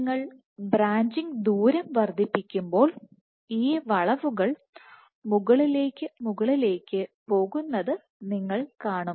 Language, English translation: Malayalam, So, as you increase the branching distance you will see that these curves will keep on going up and up